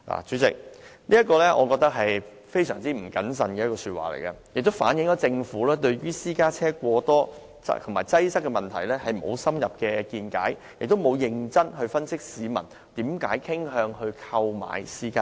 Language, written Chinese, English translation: Cantonese, 主席，這是非常不謹慎的說話，亦反映政府對私家車過多及擠塞的問題沒有深入見解，也沒有認真分析市民為何傾向購買私家車。, President such remark is grossly incautious reflecting the Governments lack of deep understanding of the root of the excessive number of vehicles and the congestion problem as well as the failure in earnestly analysing why the people tend to buy cars